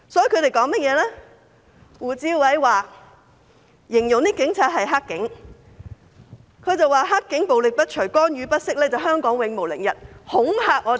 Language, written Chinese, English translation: Cantonese, 胡志偉議員形容警察是"黑警"，他說"黑警"暴力不除，干預不息，香港永無寧日。, Mr WU Chi - wai described the Police as bad cops . He claimed that Hong Kong will never have peace as long as the violence of the bad cops and interference persist